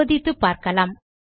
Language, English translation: Tamil, You can check it out